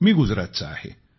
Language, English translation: Marathi, I am from Gujarat